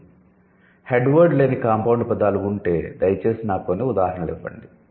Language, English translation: Telugu, So, if we have headless compound words, please give me some examples